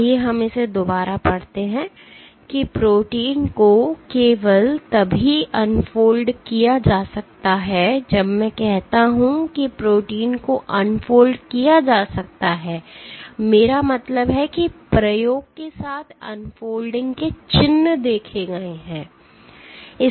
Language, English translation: Hindi, Let us read it again protein can be unfolded only if, when I say protein can be unfolded I mean, that the unfolding signature is observed with the experiment